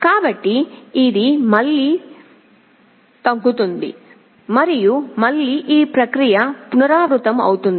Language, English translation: Telugu, So, this will again go down and again this process will repeat